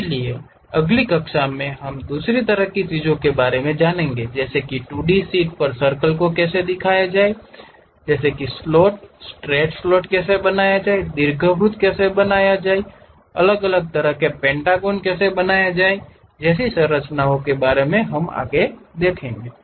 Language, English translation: Hindi, So, in the next class we will learn more about other kind of things like how to draw circles on 2D sheets perhaps something like slots, straight slot how to construct it, how to construct ellipse, how to construct different kind of pentagonal kind of structures and other things